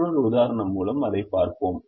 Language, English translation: Tamil, we will look at it through another example